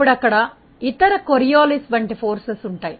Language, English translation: Telugu, Then other forces like there may be Coriolis force is present